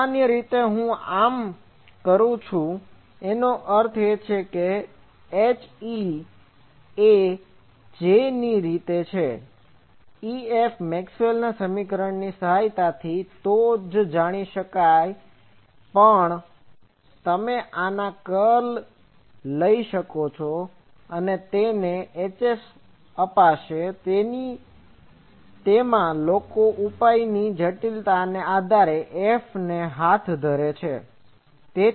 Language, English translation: Gujarati, Usually I do this; that means, H F in terms of j, but once E F is known with the help of Maxwell’s equation also you can take the curl of this and that will give you H F, either of that people do depending on complexity of the solution F at hand